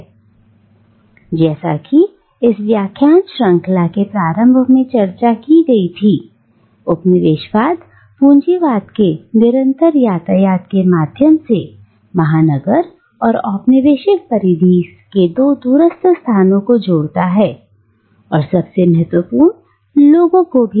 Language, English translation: Hindi, Well, as discussed at the very beginning of this lecture series, colonialism connects the two distant spaces of the metropolis and the colonial periphery through a constant traffic of goods of capital but, most importantly